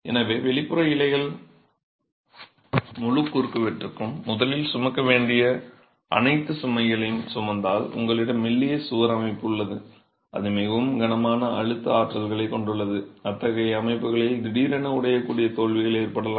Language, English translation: Tamil, So, if the exterior leaves are carrying all the load that the entire cross section was originally meant to carry, you have a slender wall system that is carrying very heavy compressive forces, you can have sudden brittle failures in such systems